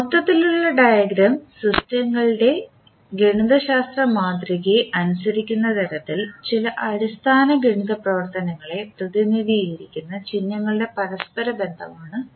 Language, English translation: Malayalam, So Block diagram is an interconnection of symbols representing certain basic mathematical operations in such a way that the overall diagram obeys the systems mathematical model